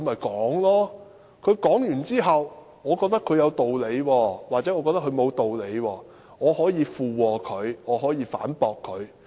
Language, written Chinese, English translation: Cantonese, 他發言完畢後，我覺得他有道理或沒有道理，我可以附和或反駁他。, After listening to his speech I can concur with or refute him if I think he is reasonable or unreasonable